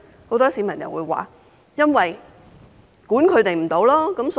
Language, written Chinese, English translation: Cantonese, 很多市民說因為無法規管他們。, Many members of the public attributed this to a lack of regulation on them